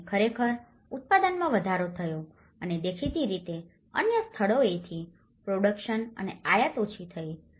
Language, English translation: Gujarati, And that has actually, the production has increased and obviously, the productions and the imports from other places has been decreased